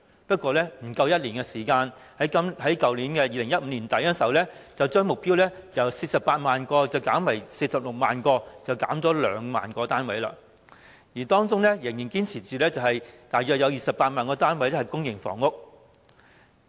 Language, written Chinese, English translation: Cantonese, 不過，不足1年時間，政府於去年年底便將目標由48萬個減為46萬個，少了兩萬個單位，雖然仍堅持大約有28萬個單位是公營房屋。, However in less than a year the Government lowered the target by 20 000 to 460 000 in late 2015 even though it maintained the target of providing about 280 000 PRH units